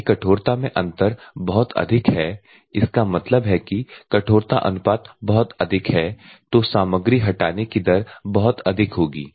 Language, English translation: Hindi, If the hardness difference is very high; that means, that the hardness ratio is very high so the material removal rate will be very high